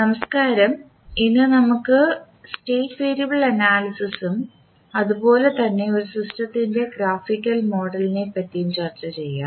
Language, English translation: Malayalam, Namashkar, so today we will start our discussion on state variable analysis and particularly in this session we will discuss about the graphical model of the system